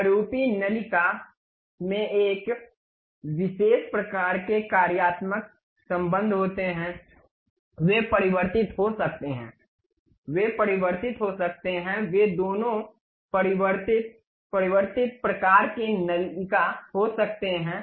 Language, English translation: Hindi, The typical nozzles have one particular kind of functional relations, they can be converging, they can be diverging, they can be both converging diverging kind of nozzles